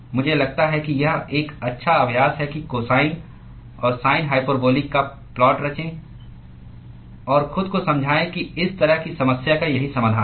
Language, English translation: Hindi, I think it is a good exercise to go and plot cosine and sin hyperbolic and convince yourself that this is the solution for this kind of a problem